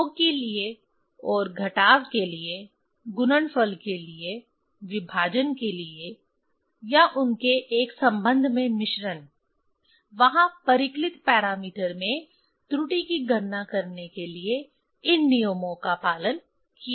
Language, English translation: Hindi, For summation, and for subtraction, for product, multiplication, for division, or the mixture of them in a in relation, there this rules will follow to calculate the error in the calculated parameter